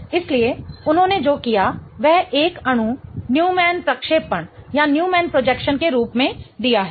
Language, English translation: Hindi, So, what they have done is they have given the molecule in the form of a Newman projection